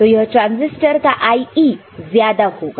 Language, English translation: Hindi, So, this transistor will be having more of IE, ok